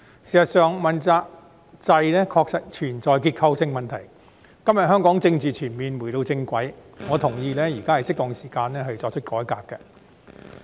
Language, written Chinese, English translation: Cantonese, 事實上，問責制確實存在結構性問題，今天香港的政治全面回到正軌，我同意現在是適當時間作出改革。, As a matter of fact the accountability system is indeed plagued by structural problems . Now that Hong Kongs political development has fully gotten back on track I agree that it is now an opportune moment to introduce reforms